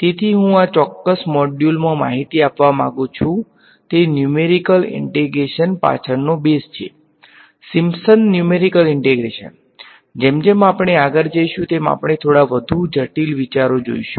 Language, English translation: Gujarati, So, what is what I wanted to convey in this particular module is the basis behind numerical integration, simple numerical integration ok; as we go further we will look at little bit more complicated ideas ok